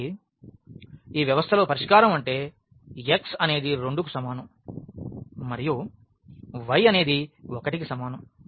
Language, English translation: Telugu, So, the solution is x is equal to 2 and y is equal to 1 of this system